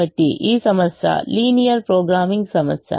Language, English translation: Telugu, therefore this problem is a linear programming problem